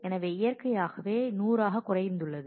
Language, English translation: Tamil, So, naturally, so it has decremented by 100